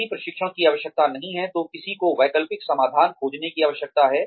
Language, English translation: Hindi, If there is no training need, then one needs to find alternative solutions